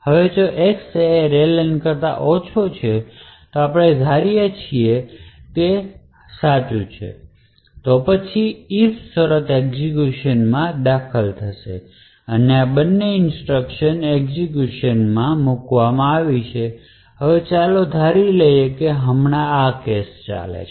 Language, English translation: Gujarati, Now what the showed here is that there is a comparison between X and the array len now if X is indeed lesser than the array len which we assume is true right now then if condition is entered and these two instructions are executed and now let us assume this is the case right now